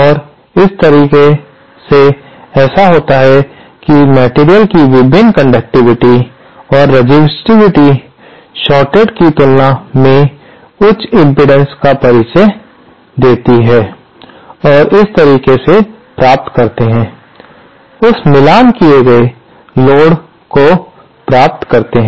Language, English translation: Hindi, And this way what happens is that the different conductivity or the resistivity of the material introduces high impedance as compared to the short and that is how you get this, get that matched load